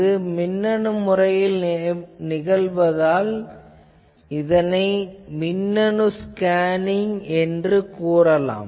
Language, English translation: Tamil, So, since this is done electronically, it is also called electronic scanning